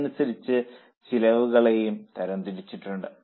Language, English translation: Malayalam, According to that the costs are also classified